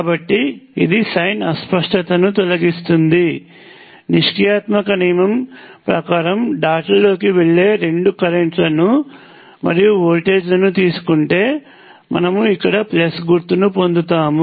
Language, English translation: Telugu, So, this removes the sign ambiguity that is you take both currents going into the dots and voltages according to the passive sign convention then you get the plus sign here